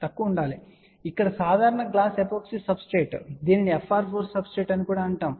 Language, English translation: Telugu, So, here normal glass epoxy substratewhich is also known as fr 4 substrate